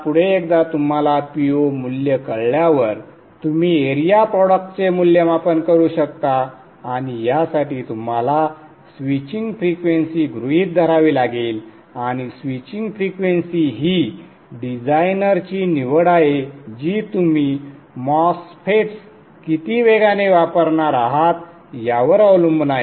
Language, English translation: Marathi, Next, once you know P 0 value, you can evaluate the P 0 value, you can evaluate the area product AP and for this you you need to assume a switching frequency and switching frequency is a designer choice depending upon what devices that you are going to use how fast the MOSFETs are going to be you may want to switch at 20 kilohertzars or 100 kler